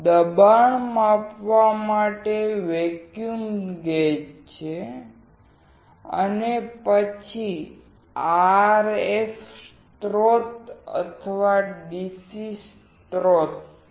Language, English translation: Gujarati, There is vacuum gauge to measure the pressure and then there is an RF source or DC source